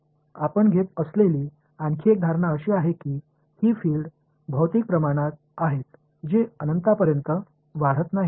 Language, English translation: Marathi, Another assumption we are making is that these fields are physical quantities they are not going to blow up to infinity